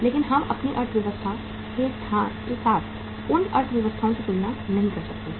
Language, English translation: Hindi, So we cannot compare those economies with our economy